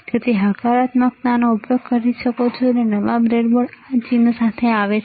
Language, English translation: Gujarati, So, you can use either positive see near newer board breadboard comes with this sign